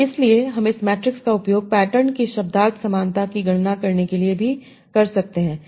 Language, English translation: Hindi, And therefore I can use this matrix to compute semantic similarity of patterns also